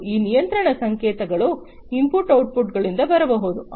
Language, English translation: Kannada, And these control signals can come from take input output